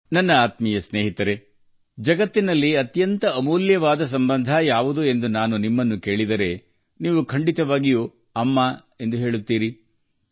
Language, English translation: Kannada, My dear friends, if I ask you what the most precious relationship in the world is, you will certainly say – “Maa”, Mother